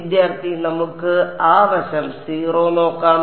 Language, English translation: Malayalam, Let us see that side the 0